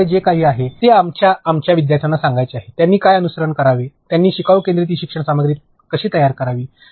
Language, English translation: Marathi, Anything else that you have would want to convey to our learners, what they should follow, how they should go about making learner centric e learning content